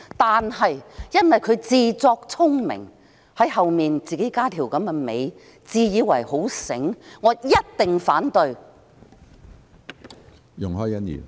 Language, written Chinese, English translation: Cantonese, 但是，由於他自作聰明，添加了這樣的一條"尾巴"，我一定反對。, However as he has tried to play smart by appending such a tail to his proposal I will definitely oppose the idea